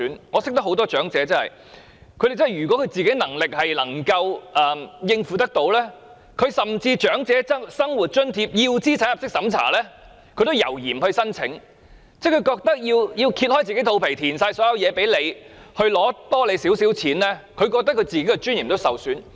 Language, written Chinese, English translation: Cantonese, 我認識不少長者，如果本身能力可以應付，甚至要資產入息審查的長者生活津貼也猶豫不申請，因為他們覺得為了多拿少許津貼，要"掀起肚皮"提供所有資料，令自己的尊嚴受損。, I know that quite many elderly people who are able to make their own living hesitate to apply for even the means - tested Old Age Living Allowance because they consider it a loss of dignity to provide all information for just a little more of the allowance